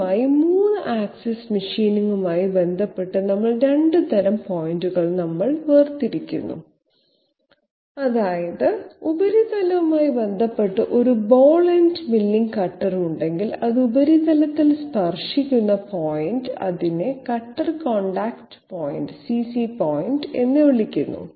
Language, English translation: Malayalam, First of all, we are differentiating between 2 types of points in connection with 3 axis machining that is, if we have a ball ended milling cutter in connection with the surface, the point at which it connects to the surface the point of touch or contact, it is called cutter contact point CC point